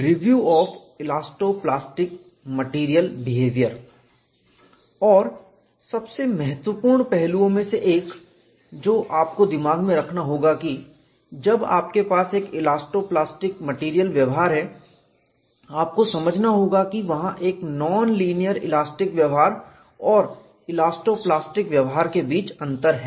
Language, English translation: Hindi, And one of the very important aspects that you will have to keep in mind is when you have an elasto plastic material behavior, you will have to realize, there is a difference between non linear elastic behavior and elasto plastic behavior